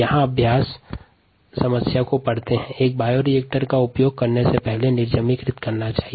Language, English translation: Hindi, ok, the practice problem here reads: a bioreactor needs to be sterilized before use